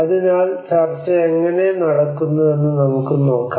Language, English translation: Malayalam, So let us see how the discussion is going on